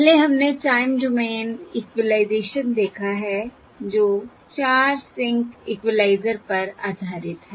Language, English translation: Hindi, First we have seen Time Domain Equalisation that is based on 0, 4 sync, 0, 4sync equaliser